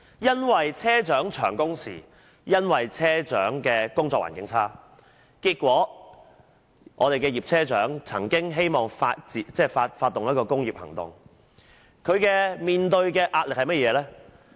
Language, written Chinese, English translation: Cantonese, 由於車長工時長、工作環境差，結果葉車長希望發動工業行動，但她面對甚麼壓力？, Given long working hours and poor working conditions of bus captains bus captain YIP planned to take industrial actions but what pressure did she face?